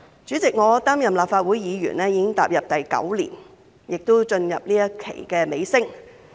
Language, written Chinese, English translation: Cantonese, 主席，我擔任立法會議員已經第九年，亦進入這一屆任期的尾聲。, President I have been a Legislative Council Member for nine years and we are now approaching the end of this term